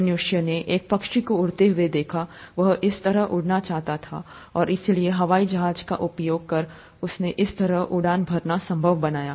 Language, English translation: Hindi, Man saw a bird flying, he or she wanted to fly that way, and therefore made it possible to fly that way using airplanes